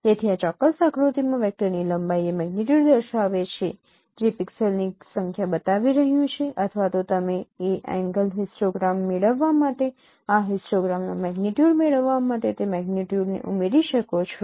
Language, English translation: Gujarati, So the length of the vector in this particular diagram is showing the magnitude showing the number of pixels or even you can add those magnitudes of gradient to to get the magnitude of this histogram to get that angle histogram